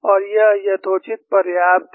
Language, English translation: Hindi, And this is reasonably good enough